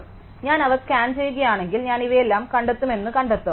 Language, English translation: Malayalam, So, if I just scan them then I will find that I all these